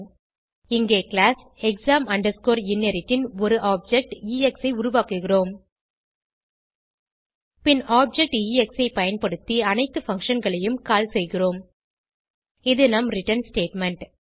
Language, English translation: Tamil, Here we create an object of class exam inherit as ex Then we call all the functions using the object ex And this is our return statement